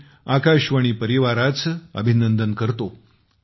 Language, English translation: Marathi, I congratulate the All India Radio family